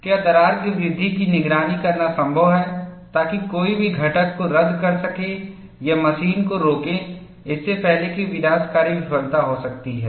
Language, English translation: Hindi, Is it possible to monitor crack growth, so that one can discard the component or stop the machine before catastrophic failure can occur